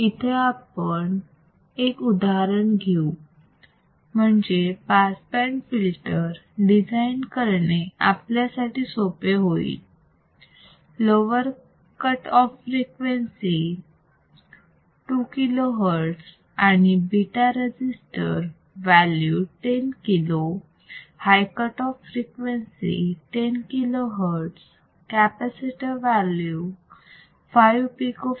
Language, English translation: Marathi, So, let us take an example to make it easier design a band pass filter with a lower cutoff frequency of two kilo hertz, and beta resistor value of 10 kilo high cutoff frequency of 10 kilo hertz capacitor value of 5 Pico farad